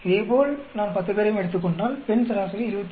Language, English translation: Tamil, Similarly, if I take all the 10, I will get the female average 27